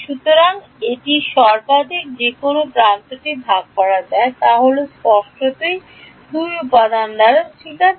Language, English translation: Bengali, So, this is the maximum that an edge can be shared by is; obviously, by 2 elements right